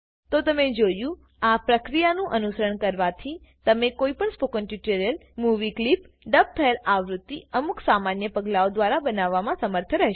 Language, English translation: Gujarati, So, you see, by following this procedure, you will be able to create dubbed versions of any spoken tutorial or movie clip in a few simple steps